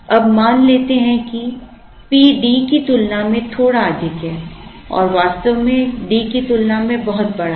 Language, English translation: Hindi, Now, let us assume that P is slightly higher than, D and in fact much bigger compared to D